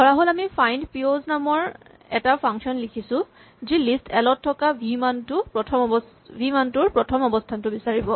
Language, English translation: Assamese, Suppose, we want to write a function findpos which finds the first position of a value v in the list 1